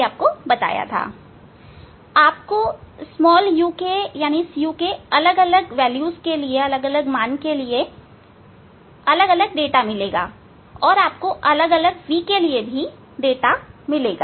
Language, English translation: Hindi, we will get data for different u, you will get data for different v